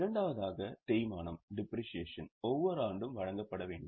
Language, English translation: Tamil, The second one was depreciation is required to be provided every year